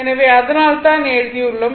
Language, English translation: Tamil, So, that is why I have written right